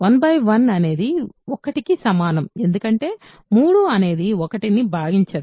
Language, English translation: Telugu, 1 equals 1 by 1 because 3 does not divide 1